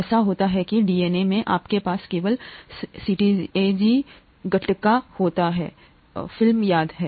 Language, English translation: Hindi, It’s so happens that in DNA you have a only CTAG, okay Gattaca remember